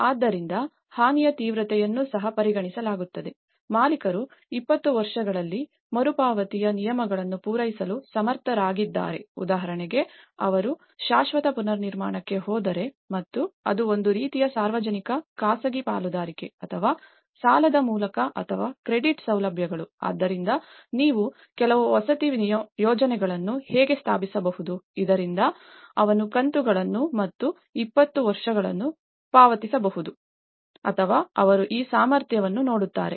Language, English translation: Kannada, So, the intensity of the damage is also considered, the owner is capable of meeting the repayment terms over 20 years for instance, if he is going for a permanent reconstruction and if it is through a kind of public private partnerships or to a loan or credit facilities so, how you can also establish certain housing schemes, so that he can pay instalments and 20 years or so that they will also see that capability